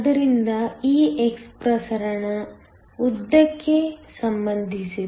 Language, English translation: Kannada, So, this x is related to the diffusion length